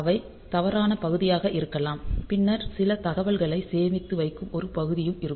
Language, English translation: Tamil, So, they can be the wrong part then there will some part where will be storing some data